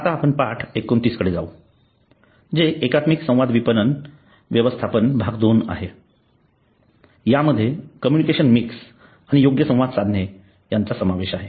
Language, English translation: Marathi, Uhhh we will now go to lesson 29 that is managing integrated marketing communications part two the com this includes the communication mix and the making the right communication